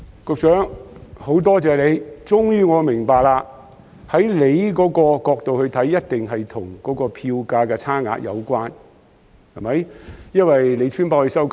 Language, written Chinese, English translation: Cantonese, 局長，很多謝你，我終於明白，從局長的角度來看，一定是與票價的差額有關，對嗎？, Secretary I am very thankful to you . I finally understand that from the perspective of the Secretary it is all about fare differentials right?